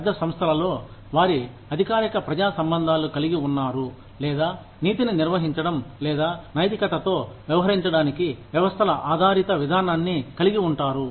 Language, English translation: Telugu, In large corporations, they have formal public relations, or, they have a systems based procedure, for dealing with, managing ethics, or dealing with ethics